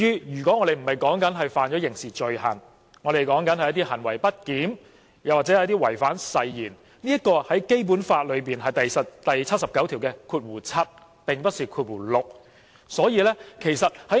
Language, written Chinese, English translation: Cantonese, 如果我們說的不是違犯刑事罪行，而是行為不檢點或違反誓言，這是《基本法》第七十九條第七項的規定，而不是第六項。, If we are not talking about committing a criminal offence but misbehaviour or breach of oath it is the provision in paragraph 7 not paragraph 6 of Article 79